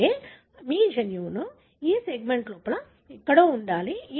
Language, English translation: Telugu, That means your gene should be located somewhere within this segment